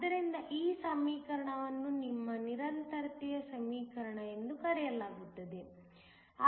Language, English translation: Kannada, So, this equation is called your Continuity equation